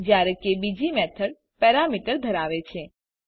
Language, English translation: Gujarati, While the second method has parameters